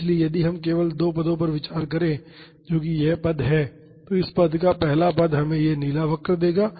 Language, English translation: Hindi, So, if we consider only the first two terms that is this term and the first of this term we would get this blue curve